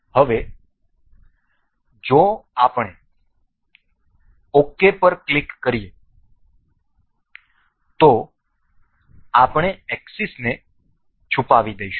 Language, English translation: Gujarati, Now, it is we click on ok we will hide the axis